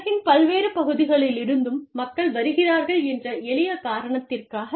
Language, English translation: Tamil, For the simple reason that, people come from different parts of the world